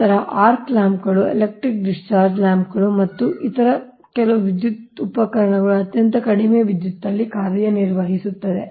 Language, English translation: Kannada, then arc lamps, electric discharge lamps and some other electric equipments operate at very low power factor right